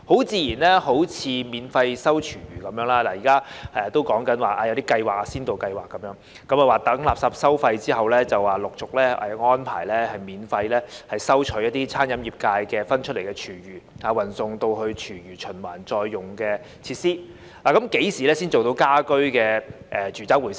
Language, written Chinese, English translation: Cantonese, 自然地，例如免費回收廚餘，現在還只是提出先導計劃，待實施垃圾收費後，才陸續安排免費收取餐飲界分類出來的廚餘，運送至廚餘循環再用的設施，但何時才做到家居住宅廚餘回收呢？, Naturally when it comes to free recovery of food waste for instance only a pilot scheme has been introduced so far . It is only after the implementation of waste charging that arrangements will be made gradually for free collection of separated food waste from the catering industry and for transportation of such waste to food waste recycling facilities . But when will there be collection of household or domestic food waste?